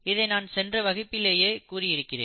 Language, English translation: Tamil, This is something I told you even my previous class